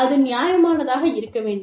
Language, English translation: Tamil, And, it should be reasonable